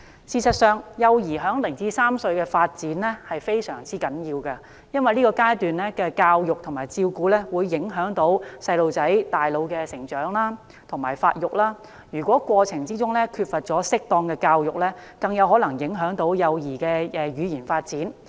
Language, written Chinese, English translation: Cantonese, 事實上，幼兒在0至3歲的發展非常重要，因為這階段的教育和照顧會影響到幼兒大腦的成長和發育，如果在成長過程中缺乏適當的教育，更有可能影響幼兒的語言發展。, The development of infants during their first three years is very important indeed . Education and care at this stage will affect the growth and development of their brains and lack of proper education may affect the speech development of a growing child